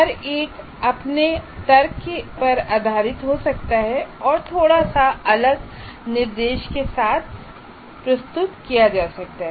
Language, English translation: Hindi, Each one can based on their logic, they can come with a slightly different instruction